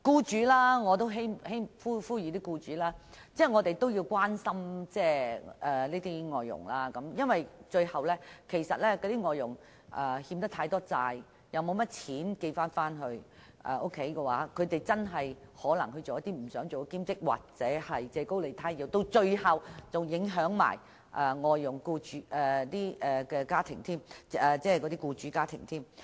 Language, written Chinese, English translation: Cantonese, 此外，我也希望呼籲僱主關心外傭，因為如果外傭欠債太多，沒有多少錢寄回老家，可能逼於無奈從事兼職或借高利貸，最後只會影響聘請外傭的僱主家庭。, Furthermore I wish also to call upon employers to keep an interest in their foreign domestic helpers . For a foreign domestic helper drowning in debt and short of money for sending home could be forced to moonlight or borrow from loan sharks which will end up affecting the employers family employing him or her